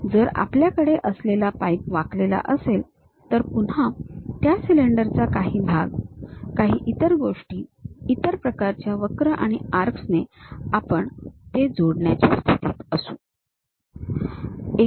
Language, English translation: Marathi, If we have a pipe bend, then again some part of that cylinder portions, some other things by other kind of curves and arcs; we will be in a position to connect it